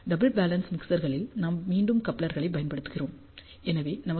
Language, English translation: Tamil, For double balanced mixers again we use couplers, so we have a good VSWR